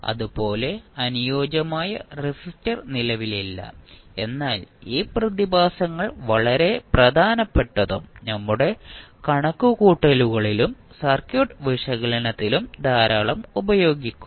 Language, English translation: Malayalam, Similarly, ideal resistor does not exist but as these phenomena are very important and we used extensively in our calculations and circuit analysis